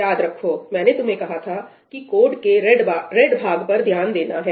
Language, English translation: Hindi, Remember, I asked you to concentrate on the red part